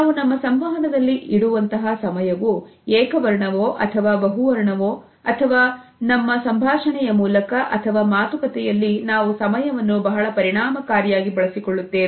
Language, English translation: Kannada, Whether the time we keep in our communication is monochrome or polychrome or whether during our dialogues and conversations we are using different aspects related with our understanding of time